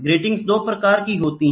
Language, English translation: Hindi, There are 2 types of grating